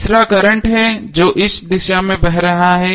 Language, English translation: Hindi, Third is the current which is flowing in this direction